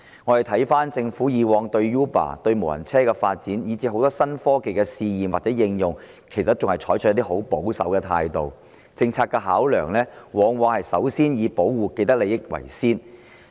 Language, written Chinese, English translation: Cantonese, 回顧政府以往對 Uber、無人車發展，以至很多新科技的試驗或應用，都是採取很保守的態度，其政策考量往往以保護既得利益者為先。, Looking back the Government had adopted a very conservative attitude towards Uber the development of automated guided vehicles and even the trial and application of many new technologies . Its policy deliberation often put the protection of parties with vested interests in the first place